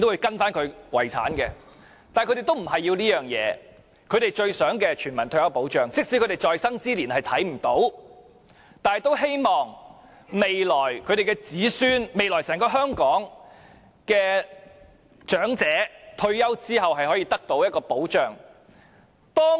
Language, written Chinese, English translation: Cantonese, 但他們要的不是這樣，他們最想要的是全民退休保障，即使在生之年看不到推出這項政策，也希望未來他們的子孫，未來整個香港的長者，退休後可以得到保障。, But that is not what the elderly want; what they want most is universal retirement protection . Even if they cannot witness the implementation of the policy during their lifetime they still hope that their children or grandchildren and all elderly people in Hong Kong can have retirement protection in future